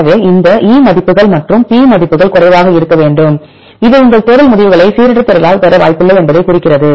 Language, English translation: Tamil, So, this E values and P values should be low, which indicate that your search results are unlikely to be obtained by random search